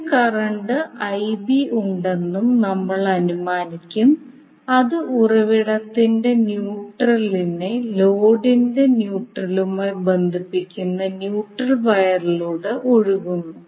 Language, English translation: Malayalam, We will also assume there is some current IN which is flowing in the neutral wire connecting neutral of the source to neutral of the load